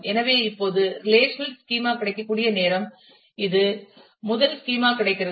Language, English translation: Tamil, So, now, it is time that the relational schema is available the first schema is available